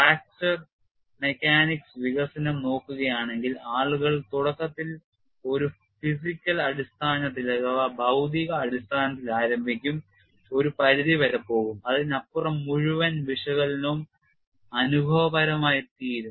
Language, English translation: Malayalam, You know if you look at fracture mechanics development people will initially start with a physical basis go to some extend and beyond that the whole analysis will become empirical